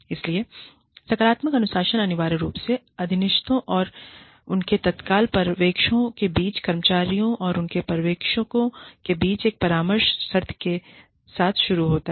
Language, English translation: Hindi, So, positive discipline essentially starts with, a counselling session between, employees and their supervisors, between subordinates and their immediate supervisors